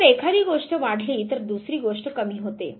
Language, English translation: Marathi, You say that if one thing increases other thing decreases